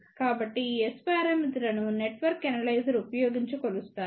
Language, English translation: Telugu, So, this S parameters are measured using network analyzer